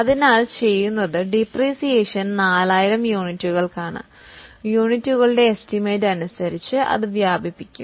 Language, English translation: Malayalam, So, what we will do is the depreciation is for 4,000 units, we will spread it over as for the estimates of units